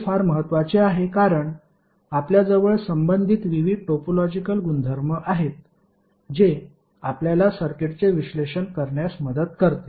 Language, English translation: Marathi, So this is very important because we have various topological properties associated with it which will help us to analyze the circuit